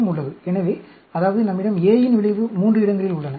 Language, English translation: Tamil, So, that means, we have effect of A at 3 places, plus, 0, minus